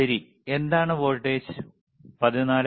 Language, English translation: Malayalam, All right so, what is the voltage